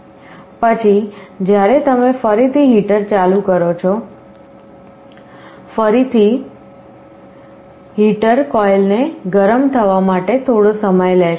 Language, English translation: Gujarati, Later, you again turn on the heater, again heater will take some time for the coil to become hot